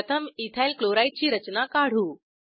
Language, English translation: Marathi, Let us first draw structure of Ethyl chloride